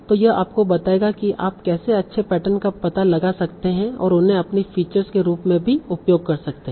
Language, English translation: Hindi, So this will tell you how you can find out nice patterns and use them as your features also